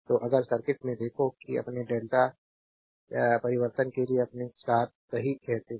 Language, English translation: Hindi, So, if you look into the circuit, that your what you call your star to delta transformation right